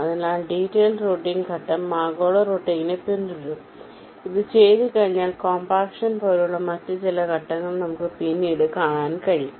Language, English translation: Malayalam, so the step of detailed routing will follow global routing and once this is done, we can have some other steps, like compaction, which we shall be seeing later now